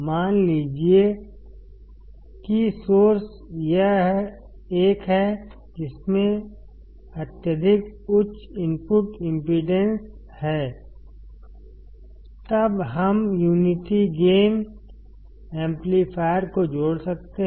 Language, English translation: Hindi, Suppose the source is this one, which has extremely high input impedance; then we can connect the unity gain amplifier